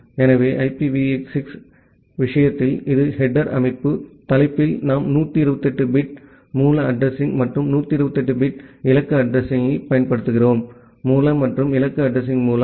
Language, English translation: Tamil, So, in a case of IPv6, this is the header structure, in the header we use 128 bit source address and 128 bit destination address; the source and the destination address field